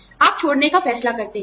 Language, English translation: Hindi, You decide quitting